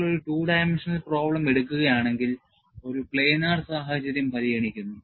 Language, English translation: Malayalam, And if you take a two dimensional problem, you consider a planar situation